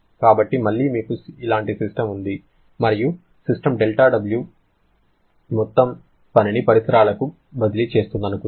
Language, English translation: Telugu, So, again you have a system like this and let us assume system is transferring del W amount of work to the surrounding